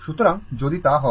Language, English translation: Bengali, So, if it is